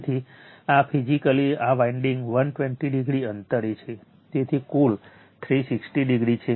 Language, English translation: Gujarati, So, this physically this winding are 120 degree, 120 degree apart right, so total is 360 degree